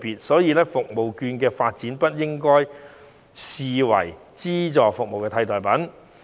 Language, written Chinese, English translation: Cantonese, 所以，社區券的發展不應該被視為資助服務的替代品。, Hence CCS vouchers should not be developed into a substitute to subvented services